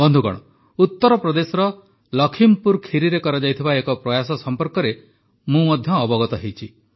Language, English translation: Odia, Friends, I have also come to know about an attempt made in LakhimpurKheri in Uttar Pradesh